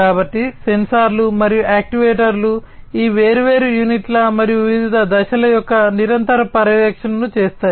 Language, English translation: Telugu, So, sensors and actuators will do the continuous monitoring of these different units and the different phases